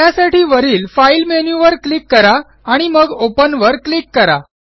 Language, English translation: Marathi, Once found, click on the filename And click on the Open button